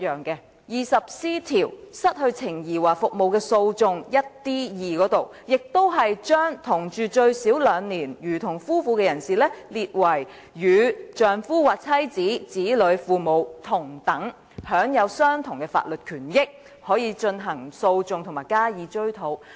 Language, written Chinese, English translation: Cantonese, 第 20C 條"失去情誼或服務的訴訟"下的第 1d 款亦把同住最少兩年，如同夫妻的人士列為與丈夫或妻子、子女、父母同等，並享有相同的法律權益，可以進行訴訟及追討賠償。, 23 which has the same provision . Under subsection 1dii of section 20C the heading of which is Actions for loss of society or services any person who had been living [with the injured person] for at least two years as husband or wife has a status equal to that of the husband or wife children and parents [of the injured person] and has the same legal rights and the right to maintain actions and recover damages